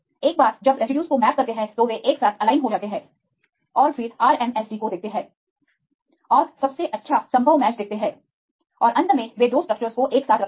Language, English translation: Hindi, Once you map the residues then they align together then see the RMSD and see the best possible match and finally, they put together the two structures